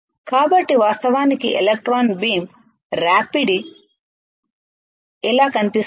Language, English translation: Telugu, So, in reality in reality how does an electron beam abrasion looks like